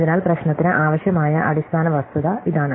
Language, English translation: Malayalam, So, this is the basic fact that we need for the problem